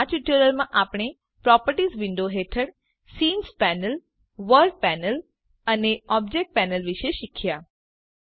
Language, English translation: Gujarati, So, in this tutorial we have covered scene panel, world panel and Object panel under the Properties window